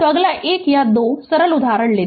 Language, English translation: Hindi, So, next take a 1 or 2 simple example